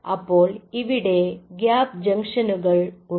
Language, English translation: Malayalam, so they have these gap junctions